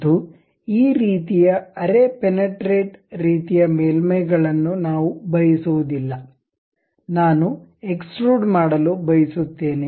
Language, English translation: Kannada, And we do not want this kind of semi penetrating kind of surfaces; but up to the surface level I would like to have extrude